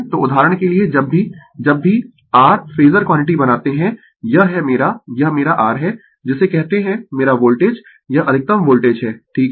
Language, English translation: Hindi, So, whenever we whenever you make ah your phasor quantity for example, this is my this is my your what you call my ah voltage this is the maximum voltage right if you take the rms value